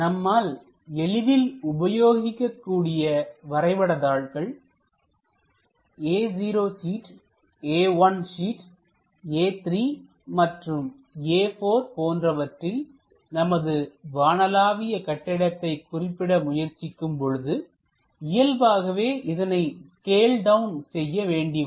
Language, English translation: Tamil, So, the easiest way is using our A naught sheet A 1 sheet A 3 A 4 this kind of sheets we would like to represent a skyscraper then naturally we have to scale it down